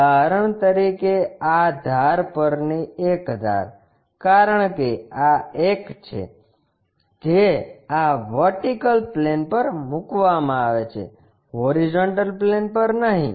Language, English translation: Gujarati, For example, one of the edge on the base, because this is the one, which is placed on this vertical plane, no horizontal plane